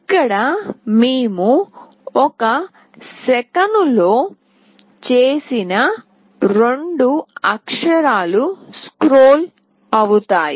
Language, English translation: Telugu, Here we have made in one second two characters will get scrolled